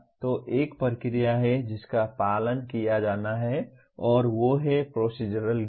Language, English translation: Hindi, So there is a procedure to be followed and that is procedural knowledge